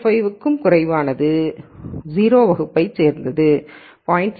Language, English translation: Tamil, 5 is going to belong to class 0 and anything greater than 0